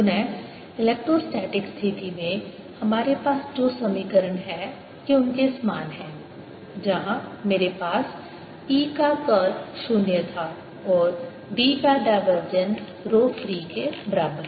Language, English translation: Hindi, both, again, these are very similar to the equations we had for electrostatic situation, where i had curl of e, zero and divergence of d equals rho free